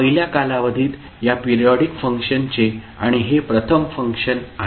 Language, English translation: Marathi, And the first function is the, the value of this periodic function at first time period